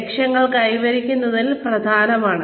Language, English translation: Malayalam, Coming up with objectives is important